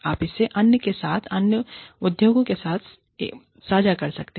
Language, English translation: Hindi, You can share this, with others, in other industries